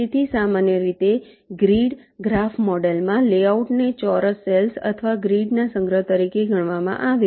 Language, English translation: Gujarati, so in general in the grid graph model the layout is considered as a collection of square cells or grid